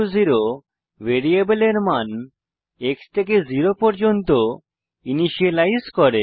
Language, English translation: Bengali, $x=0 initializes the value of variable x to zero